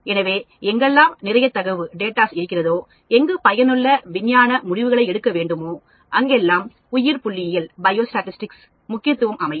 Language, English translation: Tamil, So, wherever there is lot of data, wherever you want a make useful scientific conclusions then the biostatistics come into play